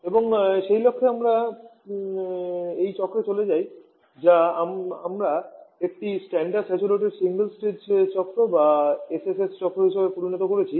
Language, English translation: Bengali, And for that purpose we move to this cycle which we have turned as a standard saturated single stage cycle or the SSS cycle